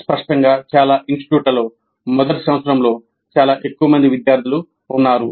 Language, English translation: Telugu, And obviously most of the institutes have a very large number of students in the first year